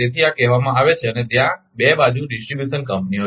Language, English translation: Gujarati, So, these are called and there are two distribution companies